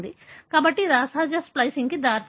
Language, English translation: Telugu, So, that could lead to aberrant splicing